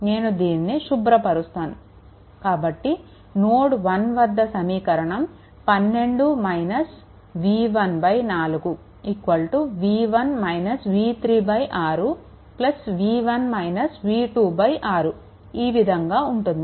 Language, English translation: Telugu, So, let me clear it right; that means, at node 1 this is the equation is written 12 minus v 1 upon 4 is equal to v 1 minus v 3 upon 6 right